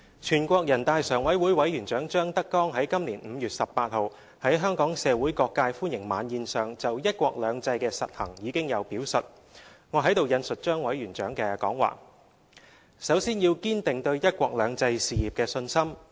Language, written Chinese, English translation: Cantonese, 全國人大常委會委員長張德江於今年5月18日在香港社會各界歡迎晚宴上就"一國兩制"的實行已有表述，我在此引述張委員長的講話："首先要堅定對'一國兩制'事業的信心。, In his speech delivered at the welcome banquet attended by various sectors of Hong Kong on 18 May this year the Chairman of the NPC Standing Committee Mr ZHANG Dejiang spoke on the issue of the implementation of one country two systems . I would like to quote from Chairman ZHANGs speech as follows I quote First of all we must firmly keep faith in one country two systems